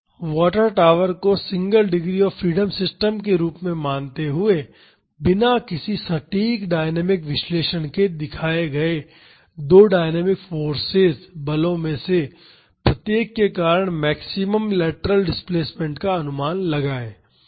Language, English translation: Hindi, Treating the water tower as a Single Degree of Freedom system, estimate the maximum lateral displacement due to each of the two dynamic forces shown without any “exact” dynamic analysis